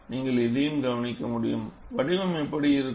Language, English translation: Tamil, And this also you can notice, how does the shape look like